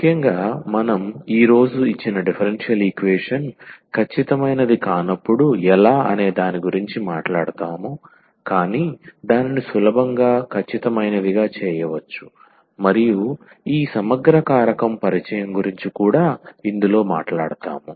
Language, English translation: Telugu, And, in particularly we will be talking about today when the given differential equation is not exact, but it can easily be made exact and that is the introduction of this integrating factor will come into the picture